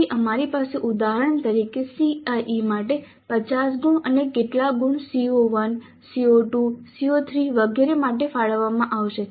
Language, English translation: Gujarati, So we have for example 15 marks for CIA and how many marks would be allocated to CO1, CO2, CO3 etc